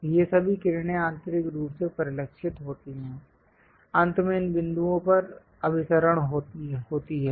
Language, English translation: Hindi, So, all these rays internally reflected, finally converge at this points